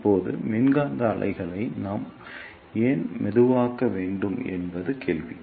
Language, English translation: Tamil, Now, the question is why we need to slow down the electromagnetic waves